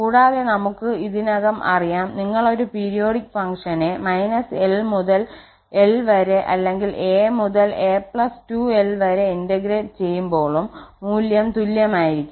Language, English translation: Malayalam, And we can we know already for periodic function where are you integrate from minus l to l or from a to a plus 2l, the value will be the same